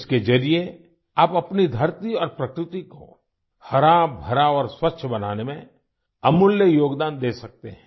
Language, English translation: Hindi, Through this, you can make invaluable contribution in making our earth and nature green and clean